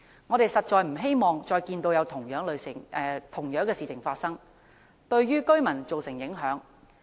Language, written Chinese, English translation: Cantonese, 我們實在不希望再看到類似事情發生，對居民造成影響。, We really do not want the occurrence of similar incidents which affect local residents